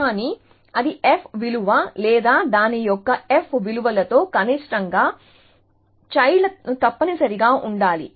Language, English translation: Telugu, So, either it is a f value or it is a minimum of the f values of it is children essentially